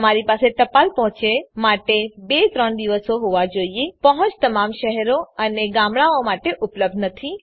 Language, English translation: Gujarati, You should have 2 3 days for postal delivery The delivery is not available for all towns and villages